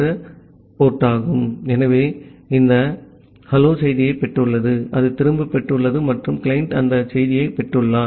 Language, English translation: Tamil, So, it has received this hello there message, it has got it back and the client has received that message